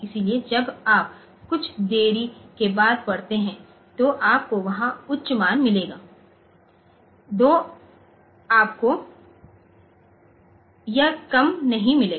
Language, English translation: Hindi, So, when you read after a delay so you will get a high there so you will not get this low